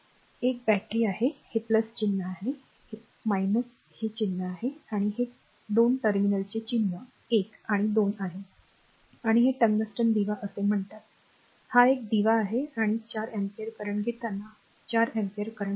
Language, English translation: Marathi, There is a battery, this is plus symbol, minus symbol and this is your 2 terminals are mark 1 and 2 right and this is your say tungsten lamp, this is a lamp and when you take the 4 ampere current says flowing say 4 ampere current is flowing